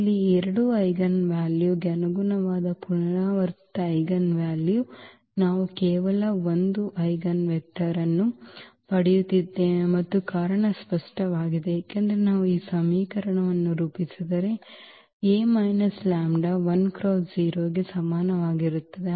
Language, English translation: Kannada, So, here the corresponding to these 2 eigenvalues the repeated eigenvalue we are getting only 1 eigenvector and the reason is clear because if we formulate this equation A minus lambda I x is equal to 0